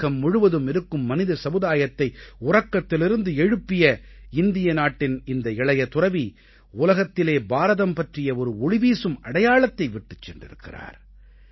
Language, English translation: Tamil, This young monk of India, who shook the conscience of the human race of the entire world, imparted onto this world a glorious identity of India